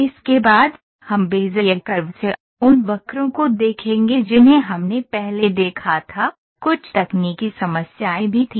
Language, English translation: Hindi, Next, we will see the Bezier Curves, those curves which we saw earlier, also had some had some technical problems